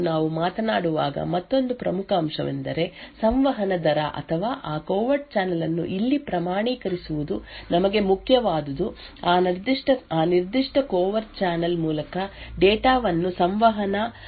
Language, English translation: Kannada, Another important aspect when we talk about coming about covert channels is the communication rate or to quantify that covert channel here what is important for us is to measure the rate at which data can be communicated through that particular covert channel